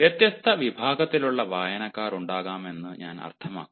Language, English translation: Malayalam, i mean, there can be different categories of readers